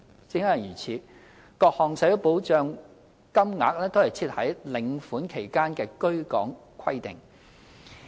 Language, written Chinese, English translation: Cantonese, 正因如此，各項社會保障金額都設有在領款期間的居港規定。, For this reason various schemes of social security payments have set down residence requirements during receipt of payments